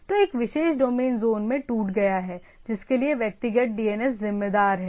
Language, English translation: Hindi, So, a particular domain is broken into zone for which individual DNS servers are responsible